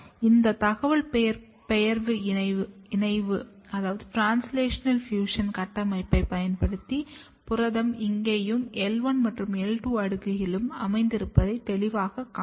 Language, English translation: Tamil, So, this translational fusion construct and then you can clearly see that protein is getting localized here as well as in L1 and L2 layer